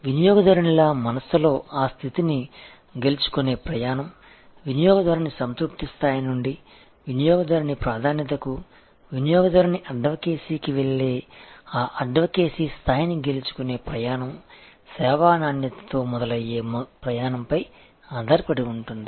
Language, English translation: Telugu, And the journey to win that status in customers mind, the journey to win that advocacy level going from the level of customer satisfaction, to customer preference, to customer advocacy depends on the journey starts with service quality